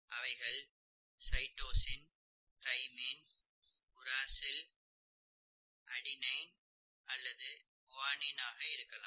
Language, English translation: Tamil, They are, they could be cytosine, thymine and uracil or adenine and guanine, okay